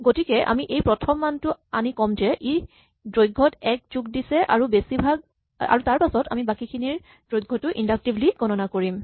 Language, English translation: Assamese, So, we pull out this first value and we say it contributes one to the length and now inductively we compute the length of the rest, right